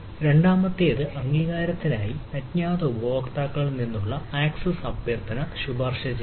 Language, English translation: Malayalam, the second is recommending access request from anonymous users for authorization